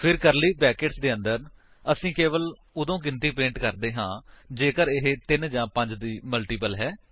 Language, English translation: Punjabi, Then, inside the curly brackets, we print the number only if it is a multiple of 3 or 5